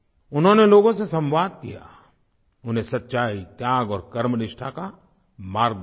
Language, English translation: Hindi, He entered into a dialogue with people and showed them the path of truth, sacrifice & dedication